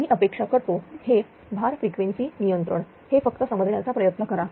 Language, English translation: Marathi, And and I hope this load frequency control ah ah just try to understand this well right